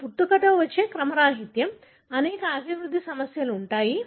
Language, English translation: Telugu, This is a congenital anomaly, there are multiple developmental problems